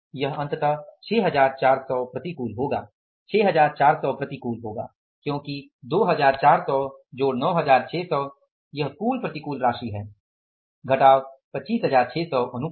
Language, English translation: Hindi, It will come out as finally 6,400s adverse 6,400 adverse because 22,400 plus 9,600s, this will be the total adverse minus favorable 25,600s